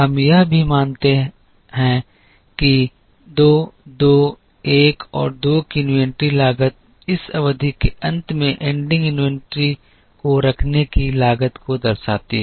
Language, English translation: Hindi, We are also going to assume that the inventory cost of 2 2 1 and 2 represent the cost of holding the ending inventory at the end of this period